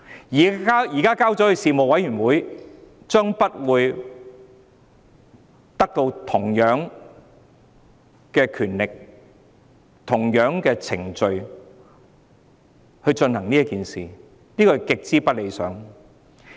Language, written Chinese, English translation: Cantonese, 如果交由事務委員會處理，將不會有同樣的權力和程序處理《條例草案》，這是極為不理想的。, If the Bill is to be handled by the Panel it would not have the same powers and procedures to scrutinize the Bill which is extremely undesirable